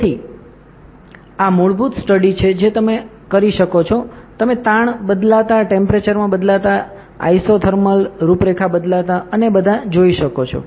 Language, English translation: Gujarati, So, these are the basic studies at you can perform you can see the stress changing, temperature changing isothermal contours changing and all